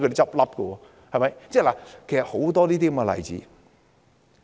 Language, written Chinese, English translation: Cantonese, 其實還有很多其他例子。, There are actually many other examples